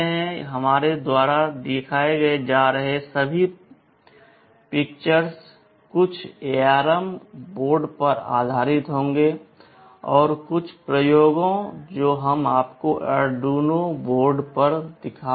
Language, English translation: Hindi, All the demonstrations that we shall be showing would be based on some ARM board, and also a few experiments we shall be showing you on Arduino boards